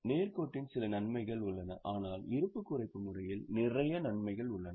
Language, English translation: Tamil, There are some advantages of straight line but there are a lot of advantages with reducing balance